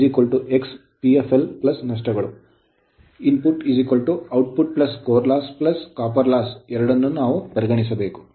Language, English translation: Kannada, So, input is equal to output plus core loss plus copper loss both we have to consider